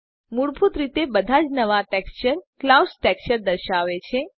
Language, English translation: Gujarati, By default, every new texture displays the clouds texture